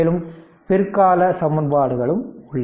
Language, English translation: Tamil, So, this later later equations are there right